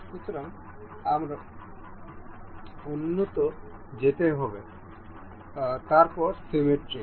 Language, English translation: Bengali, So, we will go to advanced, then the symmetric